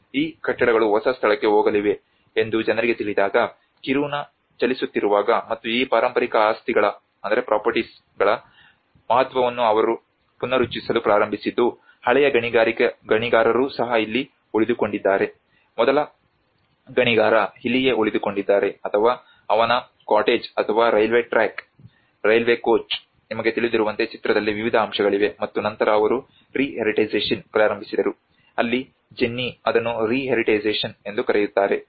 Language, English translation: Kannada, And when the Kiruna is on move when people know that these buildings are going to move to the new location as well and that is where they started reaffirming these the significance of these heritage properties even the old miner have stayed here the first miner have stayed here or his cottage or a railway track, railway coach you know like that there are various aspects which come into the picture and then they started re heritagisation that is where Jennie calls it as re heritagisation